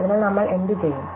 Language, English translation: Malayalam, So, what shall we do